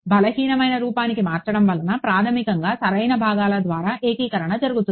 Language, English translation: Telugu, Converting to weak form so that was basically integration by parts right